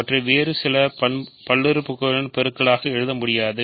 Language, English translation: Tamil, So, they cannot be written as products multiples of some other polynomial